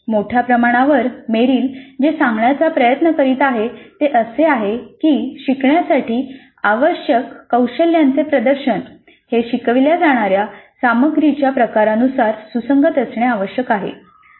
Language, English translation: Marathi, Very broadly what Merrill is trying to say is that the demonstration of the skills to be learned must be consistent with the type of content being taught